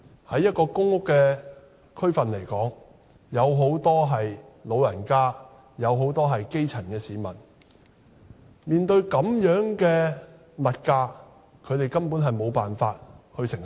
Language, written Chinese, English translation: Cantonese, 在一個公屋的地區，有很多長者和基層市民，這樣的物價，他們根本無法承受。, In public housing areas there are many elderly and grass - roots people who cannot bear such high prices at all